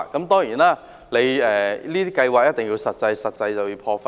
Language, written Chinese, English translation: Cantonese, 當然，這些計劃一定要有實際，有實際便一定要破費。, Of course these initiatives must be practical and if they have to be practical some expenditure is inevitable